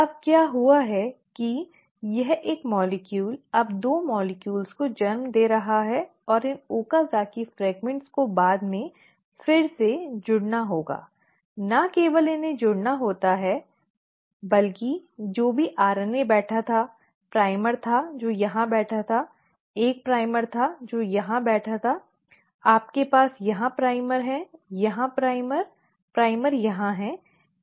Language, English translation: Hindi, Now, so what has happened, this one molecule is now giving rise to 2 molecules and these Okazaki fragments have to be later rejoined; not only are they supposed to be rejoined, whatever RNA which was sitting, there was primer which was sitting here, there was one primer which were sitting here, you have primers here, primers here, primer here